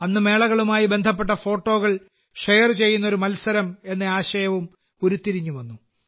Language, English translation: Malayalam, Then the idea of a competition also came to mind in which people would share photos related to fairs